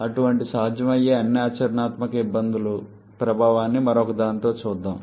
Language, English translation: Telugu, Let us see the effect of all such possible practical difficulties in another one